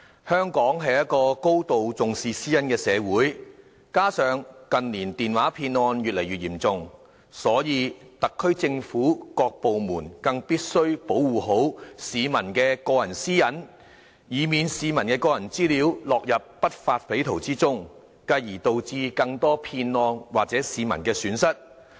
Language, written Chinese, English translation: Cantonese, 香港是一個高度重視私隱的社會，加上近年電話騙案越來越嚴重，所以特區政府各部門更必須保護好市民的個人私隱，以免市民的個人資料落入不法匪徒手中，繼而導致更多騙案或市民的損失。, Hong Kong attaches a great of importance to privacy and given the increasingly rampant cases of telephone scam in recent years it is all the more essential for the departments under the SAR Government to properly protect the peoples personal privacy lest the peoples personal data will fall into the wrong hands of some lawbreakers further causing more scams or damage to the public